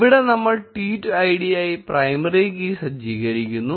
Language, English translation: Malayalam, Note that here, we are setting the primary key as the tweet id